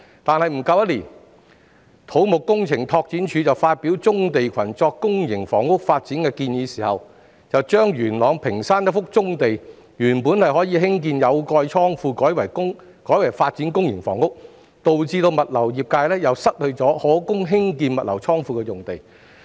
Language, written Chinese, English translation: Cantonese, 不過，不足一年後，當土木工程拓展署發表棕地群作公營房屋發展的建議時卻將元朗屏山一幅原本可興建有蓋倉庫的棕地改為發展公營房屋，以致物流業界再次失去一幅可供興建物流倉庫的用地。, But less than a year later when the Civil Engineering and Development Department announced its proposals on using brownfield clusters for public housing development it nonetheless changed the use of a brownfield site in Ping Shan of Yuen Long from constructing a roofed warehouse initially to public housing development . As a result a site that could otherwise be used for building a logistics warehouse was again taken away from the logistics industry